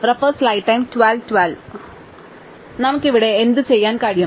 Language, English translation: Malayalam, So, what can we do here